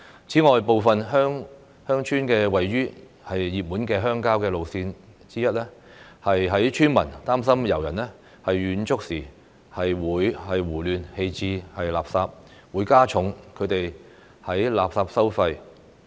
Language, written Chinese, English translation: Cantonese, 此外，部分鄉村位於熱門的郊遊路線，有村民擔心遊人遠足時胡亂棄置垃圾，會加重他們的垃圾收費。, Besides some villages are located along popular countryside trails . Some villagers are concerned that the indiscriminate disposal of waste by hikers will add to their waste charges